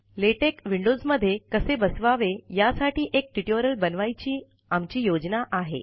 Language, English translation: Marathi, We plan to add a tutorial on installation of Latex in windows OS